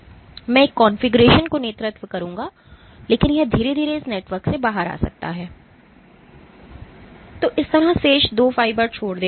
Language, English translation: Hindi, So, I will lead to a configuration, but this might slowly come out of this network leaving the remaining two fibers like this